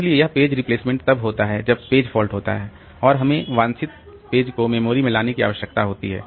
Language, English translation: Hindi, So, this page replacement occurs when a page fault occurs and we need to bring the desired page into the memory